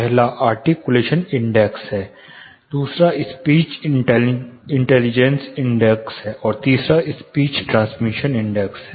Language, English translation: Hindi, First is articulation index, second is speech intelligibility index, and third is speech transmission index